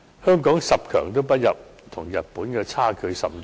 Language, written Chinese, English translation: Cantonese, 香港十強不入，與日本的差距甚大。, Hong Kong was not even ranked among the top ten and was far behind Japan